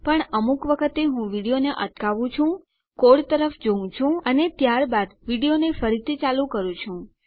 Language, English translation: Gujarati, But sometimes I pause to video, I have a look at the code and then resume the video